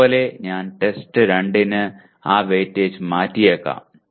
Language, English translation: Malayalam, Similarly, I may change that weightage for test 2